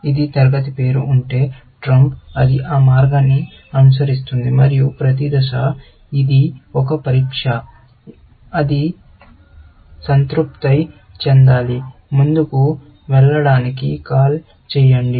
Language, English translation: Telugu, If it is of class name, trump; it will follow that path, and that each stage, it is a test; that it has to satisfy; call it to move on